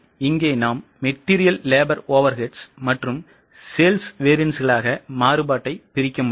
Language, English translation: Tamil, So, here we can break down the variance into material, labour, overades and sales variances